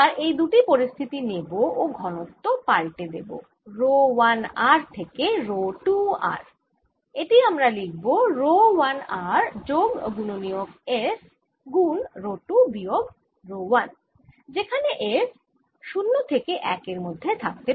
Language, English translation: Bengali, now let's take these two situations and change density rho one r to rho two r by writing this as rho one r plus a factor f rho two minus rho one